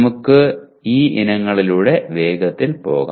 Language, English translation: Malayalam, Let us run through these items quickly